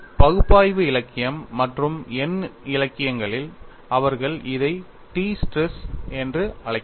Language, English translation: Tamil, And I mention in analytical literature and numerical literature they call it as t stress